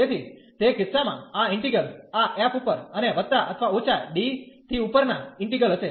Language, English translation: Gujarati, So, in that case this integral will be over this f and plus or minus the integral over D